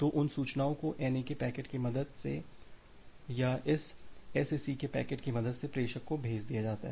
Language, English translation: Hindi, So, those information is passed to the sender with the help of the NAK packet or with the help of this SACK packets